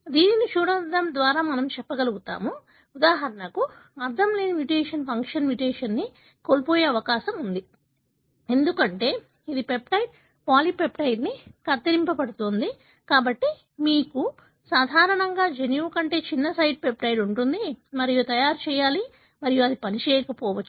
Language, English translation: Telugu, So, by looking into we will be able to tell, for example the nonsense mutation is likely to be a loss of function mutation, because it is going to truncate the peptide, polypeptide, so you will have a shorter peptide, than normally the gene should make and this may be nonfunctional